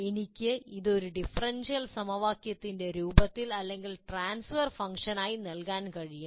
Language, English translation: Malayalam, I can give it in the form of a differential equation or as a transfer function